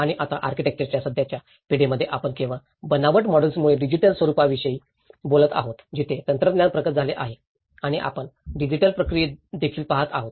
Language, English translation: Marathi, And now, in the present generation of architecture, we are talking about not only the digital forms because of various fabricated models, where technology has been advanced and also we are looking at the digital processes as well